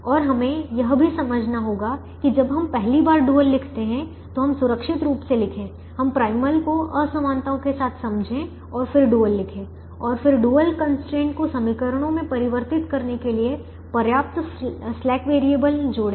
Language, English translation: Hindi, and we also have to understand that when we first write the dual, we safely write the retreat, the primal with the inequalities, and then write the dual and then add sufficient slack variables to convert the dual constraints to equations